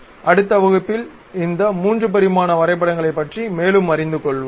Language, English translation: Tamil, In the next class we will learn more about these 3 dimensional drawings